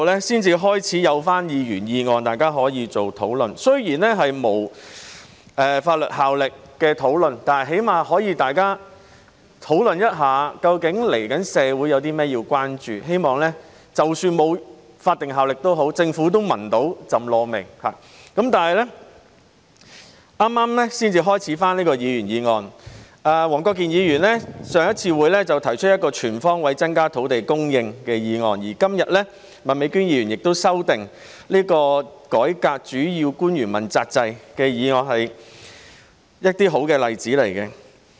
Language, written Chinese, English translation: Cantonese, 雖然議員議案是無立法效力的，但起碼大家可以討論一下究竟接下來社會有甚麼需要關注的問題，希望——即使那些議案沒有立法效力也好——政府能嗅到"????味"，但是，議員議案辯論是剛恢復不久，黃國健議員在早前的會議上提出"全方位增加土地供應"的議案，而今天，麥美娟議員則就"改革主要官員問責制"這項議案提出修正案。, Though these motions are without legislative effect we can at least have some discussions about issues in society which require our attention then in the hope of―notwithstanding the lack of legislative effect of these motions―making the Government aware that something has gone wrong . Anyway debates on Members motions have just resumed for a short while . In an earlier Council meeting Mr WONG Kwok - kin proposed a motion on increasing land supply on all fronts and today Ms Alice MAK put forward an amendment to this motion on reforming the accountability system for principal officials